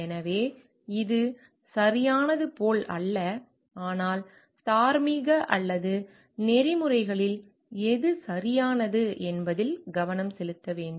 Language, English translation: Tamil, So, it is not like what is correct, but we need to focus on what is morally or ethically correct